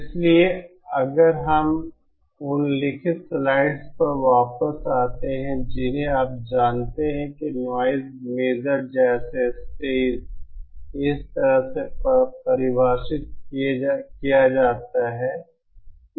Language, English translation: Hindi, So if we come back to the slides on the written slides you know just like so noise measure of a stage is defined like this